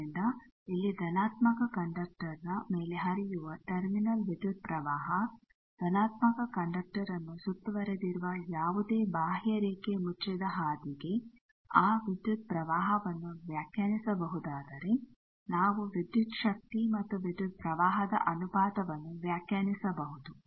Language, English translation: Kannada, So, here the terminal current that is flowing on positive conductor, if we can have that current uniquely defined for any contour closed path enclosing positive conductor then we can define the ratio of voltage and current